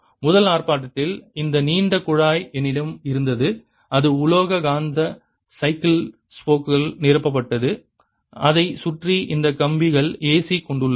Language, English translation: Tamil, in the first demonstrations i had this long pipe which was filed with metallic magnetic bicycle spokes and all around it were these wires carrying a c and this was connected to the mains